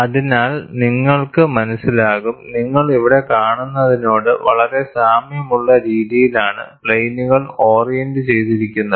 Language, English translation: Malayalam, So, what you find is, the planes are oriented like this, very similar to what you see here